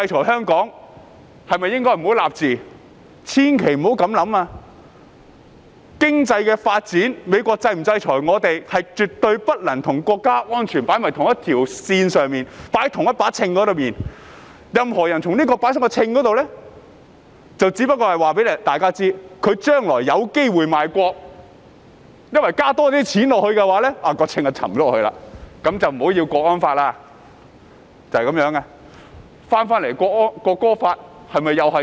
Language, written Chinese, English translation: Cantonese, 千萬不要這樣想，經濟發展或美國是否制裁香港，是絕對不能與國家安全放在同一條線上、放在同一個秤上，任何人將兩者放在秤上，就是告訴大家，他將來有機會賣國，因為只要加多些錢，秤的一邊便會沉下去，那麼便不要國安法了。, We must not think in this way . Economic development or whether the United States will sanction Hong Kong does not bear the same significance as national security at all . Anyone who puts the two on the same scale is telling us that he is a potential traitor because he will abandon national security if more money is put on one side to weight the scale down